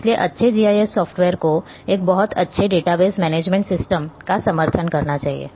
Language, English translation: Hindi, So, good GIS softwares should support a very good database management system